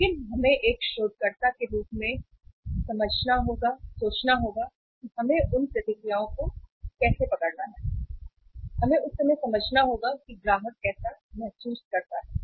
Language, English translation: Hindi, But we have to capture as a researcher as a surveyor we have to capture those reactions and we have to translate how the customer feels at that time